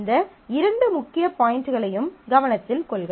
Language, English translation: Tamil, Please note on these two core points